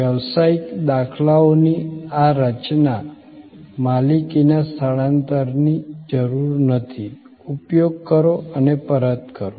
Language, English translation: Gujarati, This creation of business paradigms were transfer of ownership is not needed, use and return